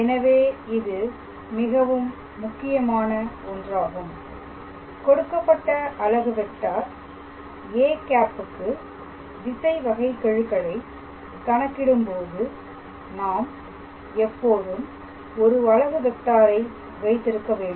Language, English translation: Tamil, So, this is very important we always have to have a unit vector when we are calculating the directional derivative of a given unit vector a cap